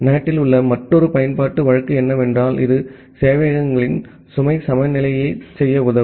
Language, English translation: Tamil, And well another use case in NAT is that it can help in doing a load balancing of servers